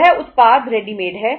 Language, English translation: Hindi, That product is readymade